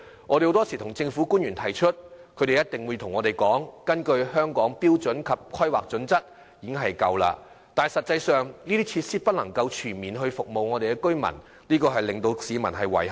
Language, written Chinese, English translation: Cantonese, 我們向政府反映時，官員往往表示根據《香港規劃標準與準則》，區內已設有足夠圖書館，但實際上這些設施不能全面服務居民，令市民感到遺憾。, When we relay their views to the Government officials often say that there are sufficient libraries in the district according to the Hong Kong Planning Standards and Guidelines HKPSG . However much to the regret of the public not all local residents are served by these facilities